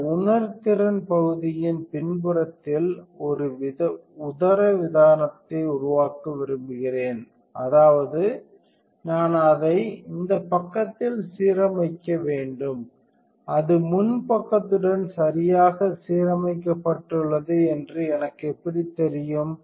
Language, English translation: Tamil, So, I want to create a diaphragm exactly on the backside of this sensing area; that means, I should align it on this side how would I know it is perfectly aligned with the front side